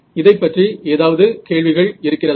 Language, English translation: Tamil, Any questions about this